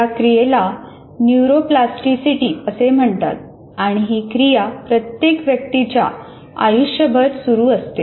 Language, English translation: Marathi, This process is called neuroplasticity and continues throughout one's life